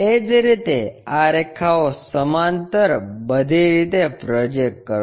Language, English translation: Gujarati, Similarly, project these lines all the way parallel